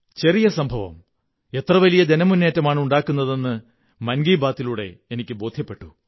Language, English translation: Malayalam, I've experienced through 'Mann Ki Baat' that even a tiny incident can launch a massive campaign